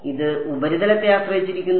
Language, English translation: Malayalam, It depends on the surface